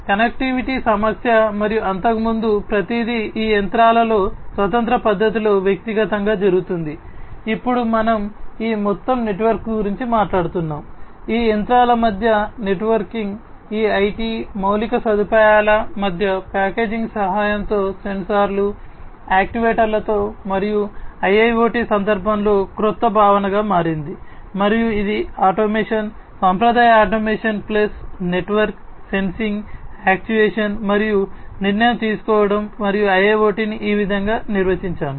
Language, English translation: Telugu, Connectivity issue and scaling up earlier everything was die being done individually in these machines in a standalone fashion now we are talking about this overall networked, you know, networking among these machines, among these IT infrastructure with the help of packaging with sensors actuators etc and that is what has become the newer concept in the context of a IIoT and it is still, you know, it is basically automation, the traditional automation plus network sensing actuation and decision making and I would think I would define IIoT to be this way